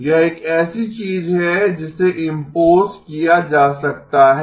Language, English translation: Hindi, This is something that is can be imposed